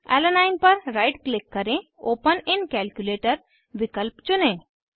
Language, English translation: Hindi, Right click on Alanine choose the option Open in Calculator